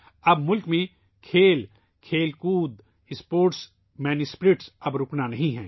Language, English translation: Urdu, In the country now, Sports and Games, sportsman spirit is not to stop